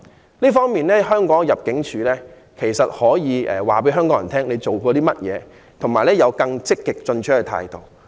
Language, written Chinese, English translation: Cantonese, 在這方面，我覺得香港入境事務處可以告訴香港人它所做的工作，以及採取更積極進取的態度。, In this respect I believe the Hong Kong Immigration Department can tell Hong Kong people what they are doing and adopt an even more proactive attitude